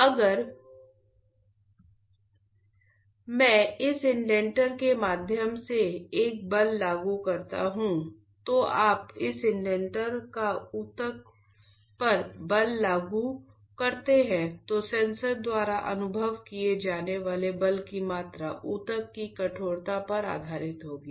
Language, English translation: Hindi, If I apply a force through this indenter this one, you apply force to this indenter onto the tissue then the amount of force the sensor will experience will be based on the stiffness of the tissue